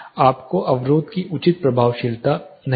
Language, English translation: Hindi, You will not have proper effectiveness of the barrier